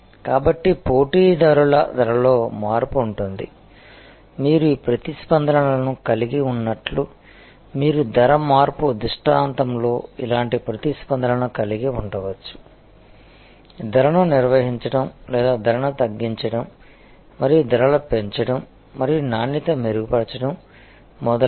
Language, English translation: Telugu, So, competitors price change, you can just like they will have these responses, you can have the similar responses to a price change scenario, maintain price or reduce price and increase price and improve quality, etc